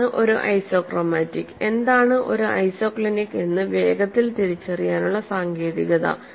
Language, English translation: Malayalam, So, that is the technique to identify quickly what is an isochromatic and what is an isoclinic